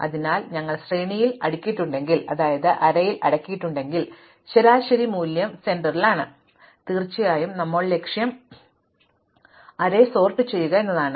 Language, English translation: Malayalam, So, if we have sorted the array, then the median value is the middle value, but of course, our goal now is to sort the array